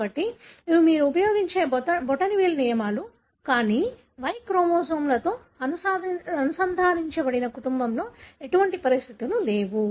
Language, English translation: Telugu, So, these are the thumb rules you would use, but hardly there are any conditions that runs in the family, which are linked to the Y chromosome